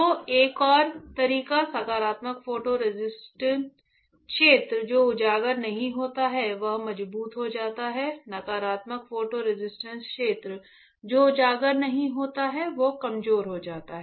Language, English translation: Hindi, So, another way positive photo resist area which is not exposed becomes stronger, negative photo resist area which is not exposed becomes weaker